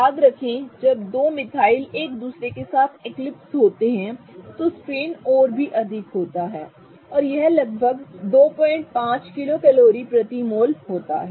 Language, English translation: Hindi, Remember when two methyl are eclipsing with each other, the strain is going to be even more and it is approximately 2